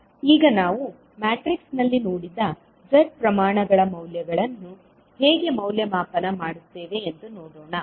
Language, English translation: Kannada, Now, let us see how we will evaluate the values of the Z quantities which we have seen in the matrix